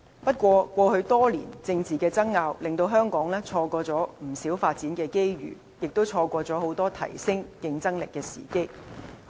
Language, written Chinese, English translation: Cantonese, 不過，過去多年的政治爭拗，令香港錯過不少發展機遇，也錯過很多提升競爭力的時機。, That said years of political wrangling caused us to miss many opportunities for development . Likewise we let go many opportunities to enhance our competitiveness